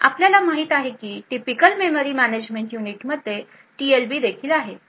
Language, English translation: Marathi, Now as we know the typical memory management unit also has a TLB present in it